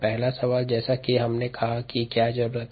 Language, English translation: Hindi, first question, as we said, was: what is needed